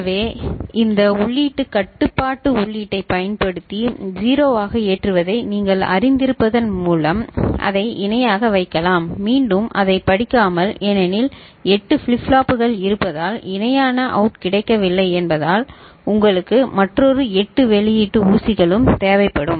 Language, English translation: Tamil, So, you can put it parallel in just by simply you know loading it using this input control input to be 0 and then for reading it, since there is no parallel out available because there are 8 flip flops then you will require another 8 output pins which is not there ok